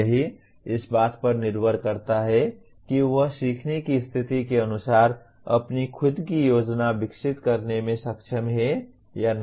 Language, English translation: Hindi, It depends on he is able to develop his own plan as per the learning situation